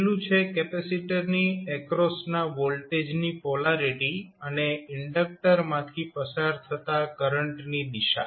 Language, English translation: Gujarati, First is that polarity of voltage vt across capacitor and direction of current through the inductor we have to always keep in mind